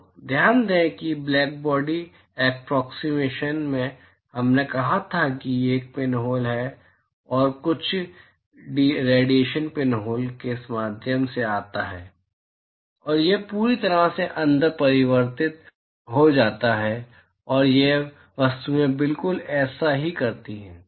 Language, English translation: Hindi, So, note that in the blackbody approximation we said there is a pinhole and some radiation comes through the pinhole and it gets totally reflected inside and this these objects exactly do the same